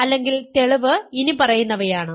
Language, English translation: Malayalam, The solution or the proof is the following